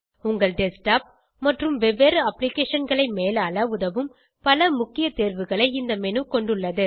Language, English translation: Tamil, This menu has many important options, which help you to manage your desktop and the various applications